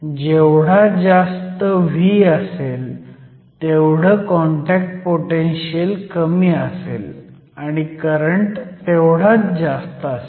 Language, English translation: Marathi, So, higher the value of V, lower the contact potential and the higher the current